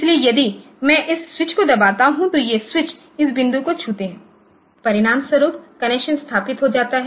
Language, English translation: Hindi, So, if I press this switch then these 2 the switch touches this point as a result the connection gets established